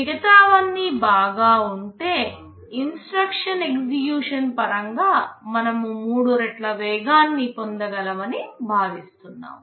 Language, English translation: Telugu, If everything else is fine, we are expected to get about 3 times speedup in terms of instruction execution